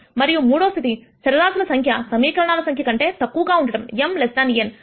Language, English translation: Telugu, And the third case was when number of equations less than number of variables m less than n